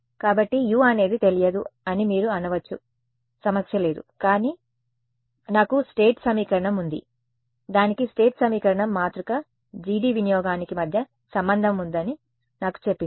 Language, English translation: Telugu, So, you may say that U is not known no problem, I have a state equation that state equation told me that there is a relation between that use the matrix GD